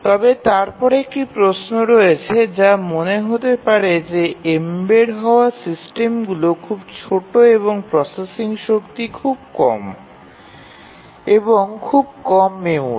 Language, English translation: Bengali, But then one question that you have might in mind is that embedded systems are really small and they have very little processing power, small memory